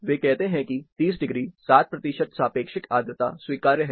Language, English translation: Hindi, What they say, 30 degrees, 60 percent relative humidity, they say it is acceptable